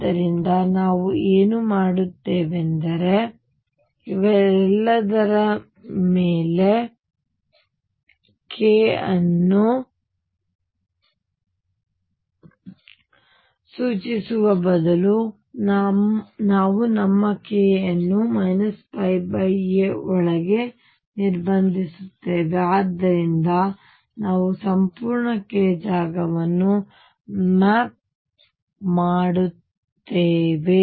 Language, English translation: Kannada, So, what we do is instead of specifying k over all these we restrict our k to within this minus pi by a to pi by a and therefore, then we actually map the entire k space